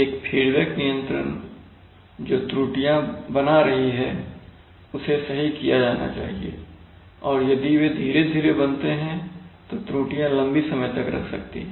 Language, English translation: Hindi, In a feedback control errors must be formed to be corrected and if they form slowly then it takes then errors exist for long periods of time